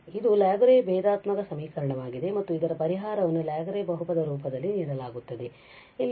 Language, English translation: Kannada, So, this is the Laguerre differential equation and solution will be given this in the form of Laguerre polynomial